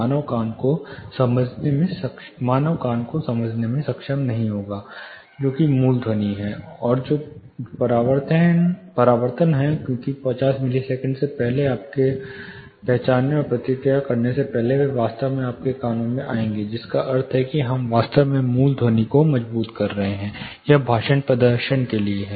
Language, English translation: Hindi, Human ear will not be able to decipher, which is the original sound and which are the reflections, because before 50 milliseconds before you recognize and respond, they will actually come to your ears, which means we are actually reinforcing the original sound, this is for speech performance